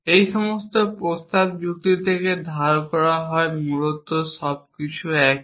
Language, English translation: Bengali, All this is borrowed from proposition logic essentially everything is same